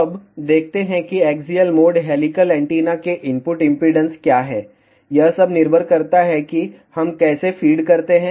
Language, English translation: Hindi, Now, let us see what is the input impedance of axial mode helical antenna, it all depends how we feed